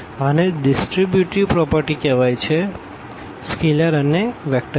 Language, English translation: Gujarati, This is called the distributive property of this of these scalars and the vectors